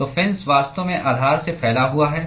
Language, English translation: Hindi, So, the fin is actually protruding from the base